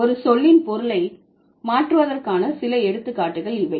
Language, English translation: Tamil, So, these are a few instances of changing the meaning of a word